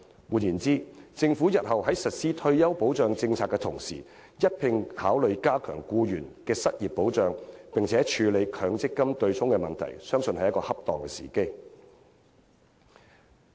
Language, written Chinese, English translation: Cantonese, 換言之，政府日後在實施退休保障政策的同時，應一併考慮加強僱員的失業保障，同時處理強積金對沖問題，相信是恰當的時機。, In other words when the Government implements a retirement protection policy in future it should at the same time consider enhancing workers unemployment protection and address the problems relating to the MPF offsetting mechanism . I believe it is now the opportune time to do so